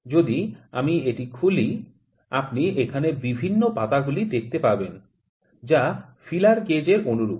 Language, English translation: Bengali, If I open it, you will see the various leaves here, which are very similar to the feeler gauge